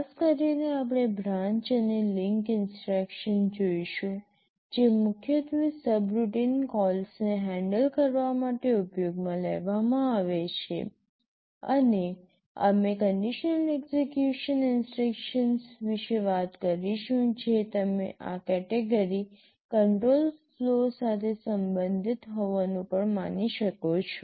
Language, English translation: Gujarati, In particular we shall be looking at the branch and link instruction that are primarily used for handling subroutine calls, and we shall talk about the conditional execution instruction that you can also regard to be belonging to this category control flow